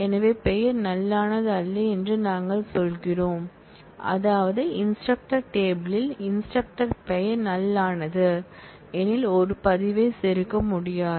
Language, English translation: Tamil, So, we say the name is not null which means that, in the instructor table it is not possible to insert a record, where the name of the instructor is null that is unknown, but it is possible